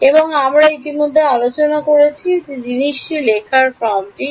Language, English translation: Bengali, And we have already discussed what is the form to write this thing